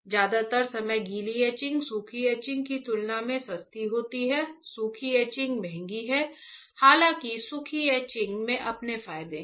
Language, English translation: Hindi, For most of the time wet etching is cheaper compared to dry etching; dry etching is costlier; however, dry etching has its own advantages